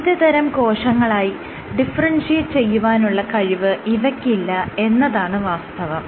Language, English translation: Malayalam, Their ability to differentiate into all different cell types is not possible